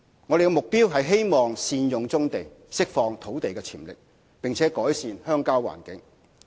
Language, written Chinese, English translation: Cantonese, 我們的目標是希望善用棕地，釋放土地潛力，並改善鄉郊環境。, Our aim is to make optimal use of brownfield sites release the land potential and improve the rural environment